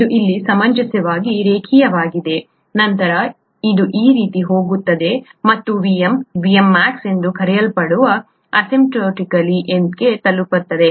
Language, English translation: Kannada, It is reasonably linear here, then it goes like this and asymptotically reaches what is called a Vm, Vmax